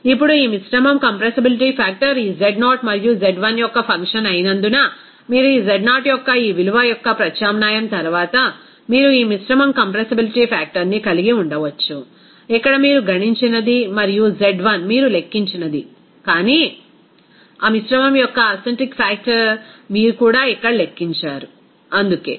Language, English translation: Telugu, Now, since this mixture compressibility factor is a function of this z0 and z1, then you can have this mixture compressibility factor after substitution of this value of z0 here whatever you have calculated and z1 whatever you have calculated, but the acentric factor of that mixture also you have calculated here, it is why